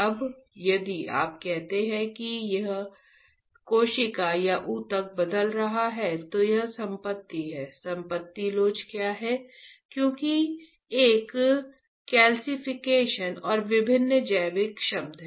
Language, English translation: Hindi, Now if you say that a cell or a tissue is changing it is property, what property elasticity right, why because there is a calcification right and different biological terms let us not go into that biology